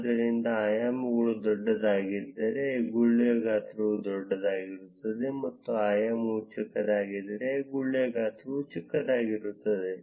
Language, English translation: Kannada, So, if the dimension is large, larger would be the size of the bubble; and if the dimension is small then the size of the bubble will be small